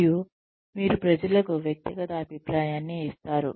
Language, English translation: Telugu, And, you give people individual feedback